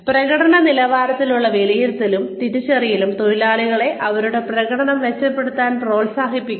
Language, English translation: Malayalam, Assessment and recognition of performance levels can motivate workers to improve their performance